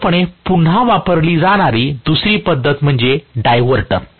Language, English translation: Marathi, The second method what is normally used again is the diverter, right